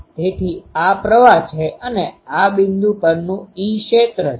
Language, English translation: Gujarati, So, this is the current ah this is the e field at the point